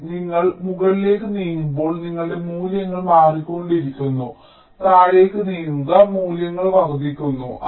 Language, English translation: Malayalam, so as you move up, your values are changing, move down, values are increasing